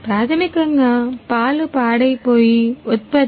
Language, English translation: Telugu, Basically milk is a perishable product